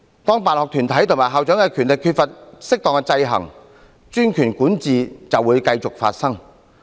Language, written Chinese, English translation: Cantonese, 當辦學團體和校長的權力缺乏適當的制衡，專權管治便會發生。, When the powers of sponsoring bodies and principals are not properly checked despotic governance will naturally come about